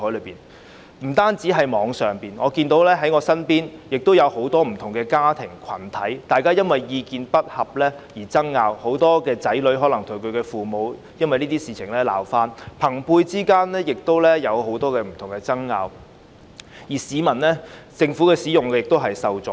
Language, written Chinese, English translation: Cantonese, 我看到不單網上，我身邊亦有很多不同的家庭和群體因意見不合而爭拗，很多子女可能因這些事而與父母鬧翻，而朋輩間亦有很多不同的爭拗，市民在使用政府服務時亦受阻。, I have seen that the Internet aside many different families and groups around me have also run into disputes due to a divergence of views . Many children may fall out with their parents over these issues and there are all sorts of arguments among peers . Public access to government services has also been obstructed